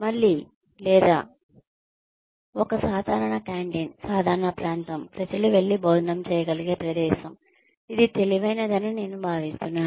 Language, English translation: Telugu, Again, or having a common canteen, common area, where people can go and have their meals, which I think is brilliant